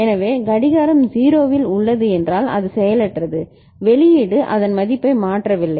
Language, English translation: Tamil, So, clock is at 0 means it is inactive the output is not changing its value